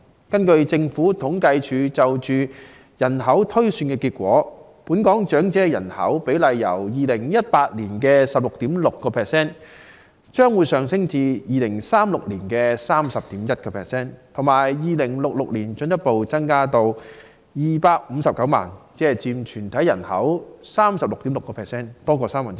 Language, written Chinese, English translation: Cantonese, 根據政府統計處就香港人口推算的結果，本港長者的比例將由2018年的 16.6% 上升至2036年的 31.1%， 更會在2066年進一步增至259萬人，佔總人口的 36.6%， 即超過三分之一。, According to the population projections of the Census and Statistics Department the percentage of senior citizens in Hong Kong will increase from 16.6 % in 2018 to 31.1 % in 2036 and their number will further increase to 2.59 million in 2066 representing 36.6 % ie . more than one third of the total population